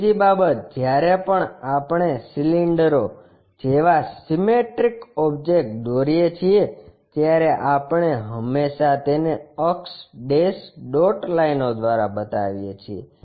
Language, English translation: Gujarati, Second thing whenever we are drawing the cylinders symmetric kind of objects, we always show by axis dash dot lines